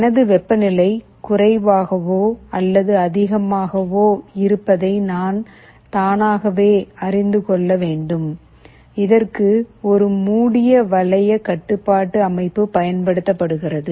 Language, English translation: Tamil, I should able to know automatically whether my temperature is lower or higher, that is the notion of a closed loop control system that comes into the picture